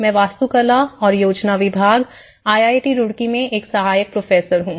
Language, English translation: Hindi, My name is Ram Sateesh, I am assistant professor in Department of Architecture and Planning IIT Roorkee